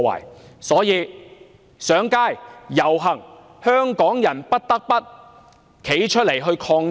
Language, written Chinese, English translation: Cantonese, 故此，要上街、要遊行，香港人不得不站出來抗爭。, Therefore we must take to the streets and join the protest march . The people of Hong Kong must come forward to protest